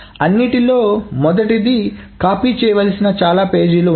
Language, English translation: Telugu, First of all, there are too many pages that needs to be copied